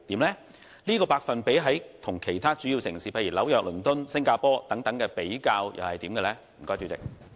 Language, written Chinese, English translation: Cantonese, 而有關百分比與其他主要城市，例如紐約、倫敦、新加坡等的比較結果又如何？, How does the proportion compare with those in other major cities such as New York London and Singapore?